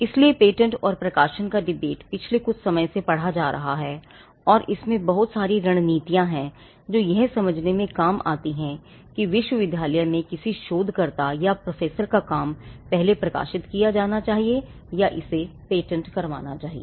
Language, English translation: Hindi, So, the publish of patent debate has been reading for some time and there is quite a lot of strategies that come into play in understanding whether the work of a researcher or a professor in a university should first be published or whether it should be patented